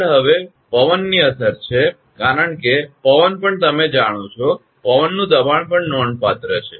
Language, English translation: Gujarati, Next one is the effect of the wind, because wind also you know wind pressure is also significant